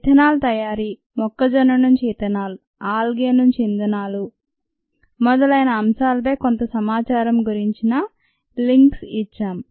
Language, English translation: Telugu, had given you links to some ah information on ethanol making ethanol from corn algae to fuels and so on